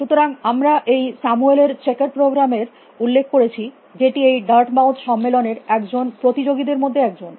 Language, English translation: Bengali, So, we have mention this Samuel’s Checkers program he was also one of the participant in this Dartmouth conference